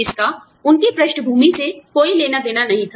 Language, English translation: Hindi, It had nothing to do with their background